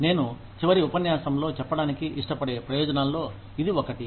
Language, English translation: Telugu, One of the benefits that, I would have liked to cover, in the last lecture